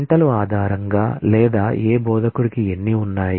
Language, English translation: Telugu, How many based on hours or which instructor has